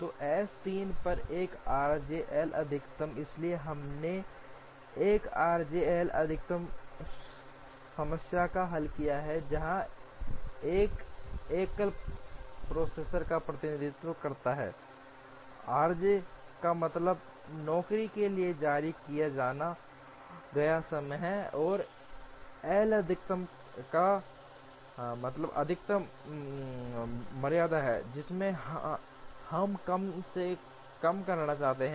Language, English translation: Hindi, So, 1 r j L max on M 3, so we solved a 1 r j L max problem, where one represents single processor, r j means released times for job j, and L max means maximum tardiness that we wish to minimize